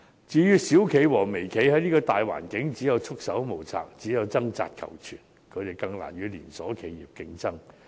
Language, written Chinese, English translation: Cantonese, 至於小企和微企，在這個大環境下只有束手無策，掙扎求存，他們更難與連鎖企業競爭。, Given the macro environment small and micro enterprises can only be at their wits end and struggle for survival making it even harder for them to compete with chain enterprises